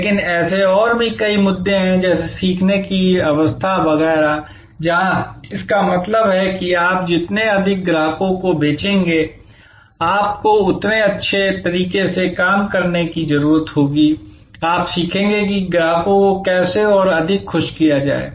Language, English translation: Hindi, But, there are other issues like learning curve and so on, where that means, more you sale the more you customers, you get you fine tune your operations, you learn how to delight the customers more and more